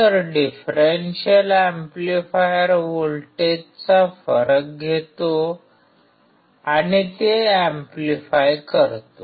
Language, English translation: Marathi, So, differential amplifier takes the difference of voltage and amplify it